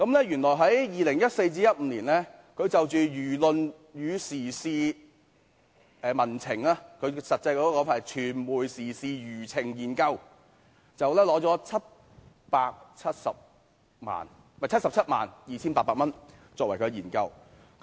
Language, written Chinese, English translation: Cantonese, 原來在2014年至2015年，該中心就輿論與時事民情，具體名稱是"傳媒時事輿情研究"，獲取了 772,800 元。, It turns out that from 2014 to 2015 this institute received 772,800 for its study on public opinion current affairs and public sentiments . The exact name was Study on Trend of Discussions on Social and Political Issues in the Mass Media